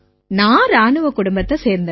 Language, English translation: Tamil, I am from military family